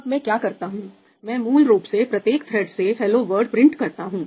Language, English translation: Hindi, Now, what do I do I basically print ‘hello world’ from each thread